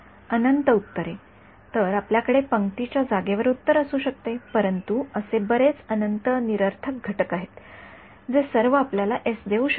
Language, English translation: Marathi, Infinite solutions right; so, you can have a solution in the row space, but there are infinite null space components, which can all give you exactly the same s